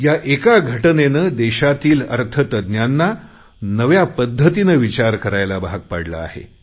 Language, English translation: Marathi, This has also forced the economists of the country to think differently